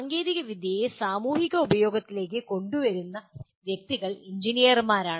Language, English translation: Malayalam, And the persons who bring technology into societal use are engineers